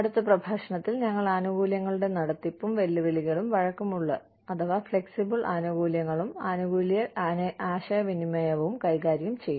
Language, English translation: Malayalam, We will deal with, the administration of benefits, and the challenges with flexible benefits in, and benefits communication, in the next lecture